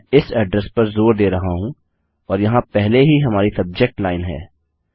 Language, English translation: Hindi, I keep stressing this its the address here and weve already got our subject line here